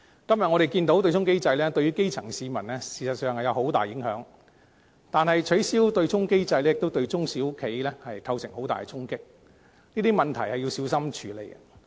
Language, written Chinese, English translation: Cantonese, 今天，我們看到對沖機制對於基層市民事實上有很大影響，但是，取消對沖機制亦對中小企帶來很大的衝擊，這些問題需要小心處理。, Today we can also see that the offsetting mechanism has actually produced huge impact on grass - roots people . But the abolition of the offsetting mechanism will deal a great blow to small and medium enterprises SMEs . All these issues must be handled with care